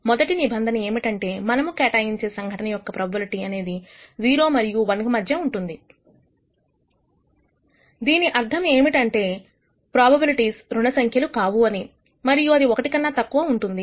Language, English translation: Telugu, The first condition is that the probability we assign to any event should be bounded between 0 and 1 and that means, probabilities are non negative and it is less than 1